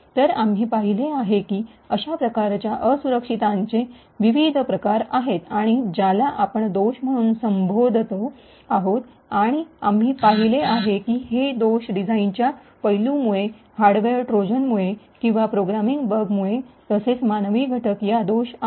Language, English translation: Marathi, So, we have seen that there are different types of such vulnerabilities or what we call as a flaws and we have seen that the flaws could occur due to design aspects, due to hardware Trojans or due to programming bugs as well as due to the human factor